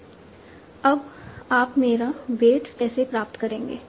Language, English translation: Hindi, So now how do we obtain my weights